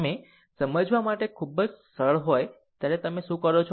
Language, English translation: Gujarati, Just just when you are very easy to understand, what you do it